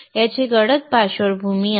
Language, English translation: Marathi, This is having a dark background